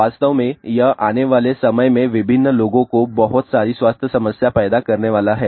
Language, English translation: Hindi, In fact, this is going to cause a lot of health problem to various people also in time to come